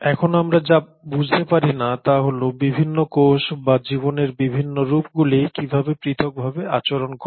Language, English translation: Bengali, Now what we do not understand is how is it that different cells behave differently or different forms of life behave differently